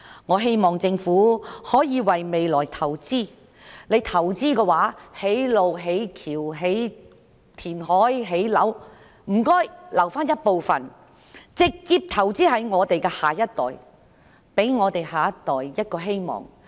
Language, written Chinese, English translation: Cantonese, 我希望政府可以為未來投資，不論政府投資多少金錢在興建大橋、道路、填海、建樓上，請留一部分金錢直接投資在下一代身上，給下一代一個希望。, I hope that the Government can invest in the future . No matter how much money the Government invests in building bridges and roads reclamation and construction of buildings some money should be saved up for investing directly in the next generation to give them hope